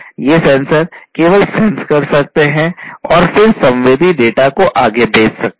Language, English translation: Hindi, These sensors can only sense and then send the sensed data forward